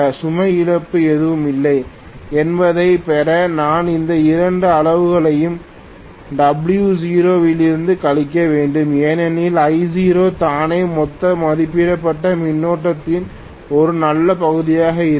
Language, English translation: Tamil, I have to subtract both these quantities from W naught to get what is the no load loss because I naught itself will be a good chunk of the total rated current